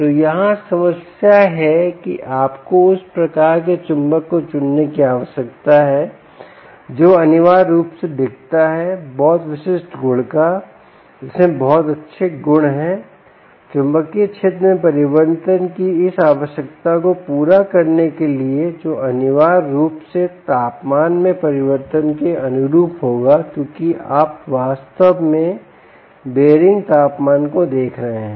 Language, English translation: Hindi, you need to choose that type of ah magnet which essentially looks at very specific ah properties, which are very nice properties, in order to meet this requirement of change in magnetic field: ah, um ah, which will essentially correspond to change in temperature, because you are really looking at bearing temperature